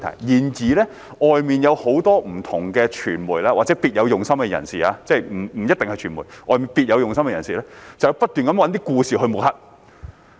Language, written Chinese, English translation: Cantonese, 然而，外面有很多不同的傳媒或者別有用心的人士——即不一定是傳媒，外面別有用心的人士——會不斷找一些故事來抹黑。, That is a matter of consciousness . However there are many different media or people with ulterior motives out there not necessarily the media but people with ulterior motives who will continue to make up stories to smear others